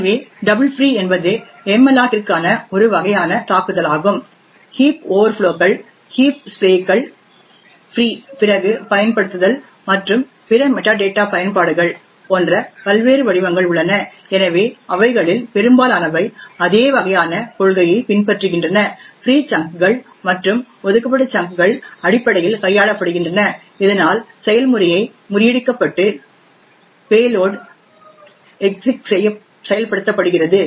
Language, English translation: Tamil, So the double free is just one form of attack for malloc there are various other forms like heap overflows, heap sprays, use after free and other metadata exploits, so but most of them follow the same kind of principle there the management of the free chunks and the allocated chunks are essentially manipulated so that the execution gets subverted and the payload executes